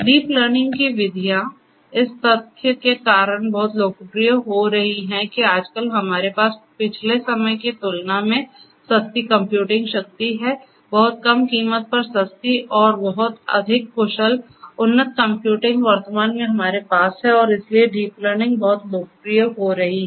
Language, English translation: Hindi, So, these deep learning methods are getting very popular due to the fact that nowadays we have cheap computing power unlike in the previous times, cheap and much more efficient advanced computing at a very reduced price we are able to have at present and that is where deep learning is getting very popular